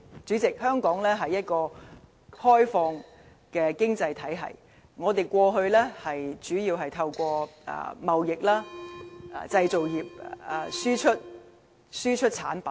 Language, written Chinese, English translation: Cantonese, 主席，香港是一個開放的經濟體系，我們過去主要透過貿易和製造業輸出產品。, President Hong Kong is an open economy . We mainly exported our goods through trade and the manufacturing industry in the past